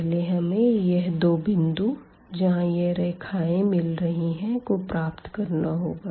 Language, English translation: Hindi, So, first we need to compute these points where these lines are meeting